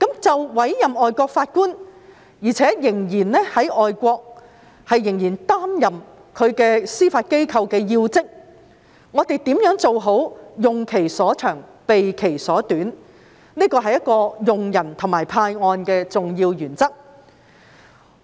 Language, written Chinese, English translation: Cantonese, 就委任仍然在外國司法機構擔任要職的外籍法官，我們如何能做好"用其所長，避其所短"，這是一個用人及派案的重要原則。, As regards the appointment of foreign judges who still hold key positions in overseas judiciary we should consider how to make good use of their strengths and avoid their weaknesses . This is an important principle in appointing the right person and assigning cases